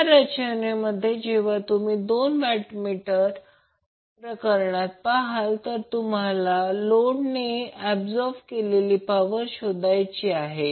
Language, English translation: Marathi, So now this is the arrangement which you will see in case of two watt meter method when you are asked to find out the total power consumed by the load